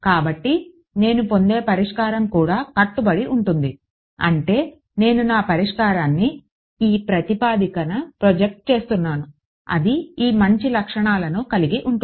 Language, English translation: Telugu, So, therefore, the solution that I get it also obeys I mean I am projecting my solution on this basis it will have these nice properties to reveal